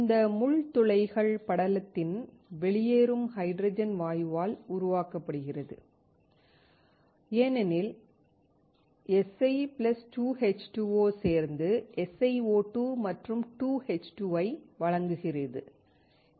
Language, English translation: Tamil, These pin holes are created by the hydrogen gas coming out of the film because, you have Si + 2H2O to give SiO2 and 2H2